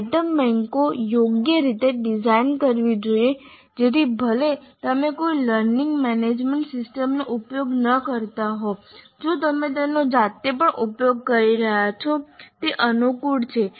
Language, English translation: Gujarati, The item banks should be suitably designed so that even if you are not using any learning management system if you are using it manually also it is convenient